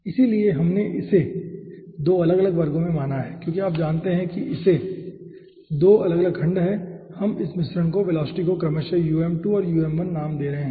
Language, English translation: Hindi, as it is 2 having 2 separate sections, we are naming the velocity of this mixture as um2 and um1 respectively